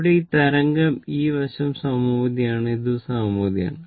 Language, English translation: Malayalam, So, this wave this this side is symmetrical and this is also symmetrical